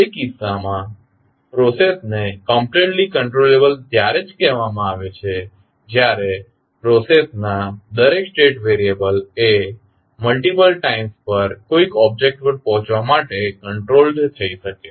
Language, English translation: Gujarati, So, in that case the process is said to be completely controllable if every state variable of the process can be control to reach a certain object at multiple times